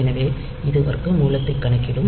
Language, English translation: Tamil, So, it will compute the square root